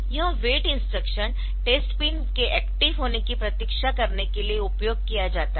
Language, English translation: Hindi, So, this wait instruction is used for waiting for the test pin to be active